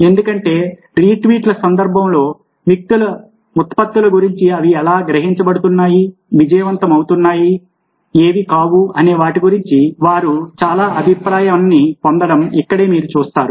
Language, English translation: Telugu, because you see that this is where they get a lot of feedback about their products, how they are being perceived, what is being successful, what has been not